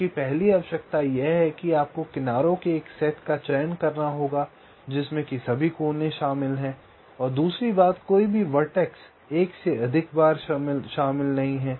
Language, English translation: Hindi, your first requirement is that you have to select a set of edges such that all vertices are included and, secondly, no vertex is included more than once